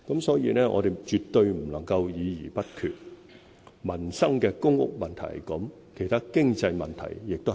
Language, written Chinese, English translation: Cantonese, 所以，我們絕對不能夠議而不決，關乎民生的公屋問題是這樣，其他經濟問題亦是這樣。, Thus we should not merely engage in discussions without making decisions . This applies to the public housing problem which is a livelihood issue as well as economic problems